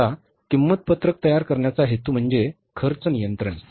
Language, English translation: Marathi, Now, purpose of preparing the cost sheet is cost control